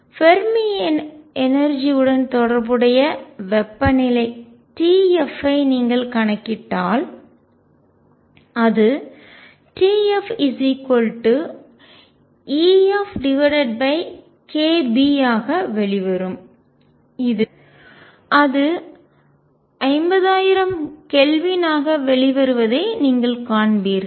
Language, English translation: Tamil, Then if you calculate the temperature T f corresponding to the Fermi energy it will come out to be T f, will be equal to e f over k Boltzmann and you will find that is comes out to the order of 50000 Kelvin